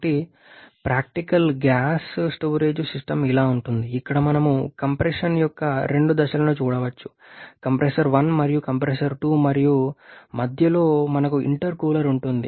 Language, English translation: Telugu, So this is how a practical storage tank look like where we can see the two stages of compression compressor one and compressors to in between intercooler